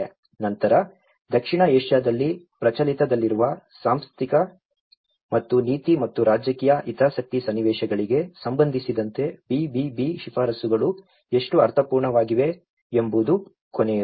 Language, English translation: Kannada, Then, the last one is how meaningful the BBB recommendations are in relation to prevalent institutional and policy and political interest scenarios in South Asia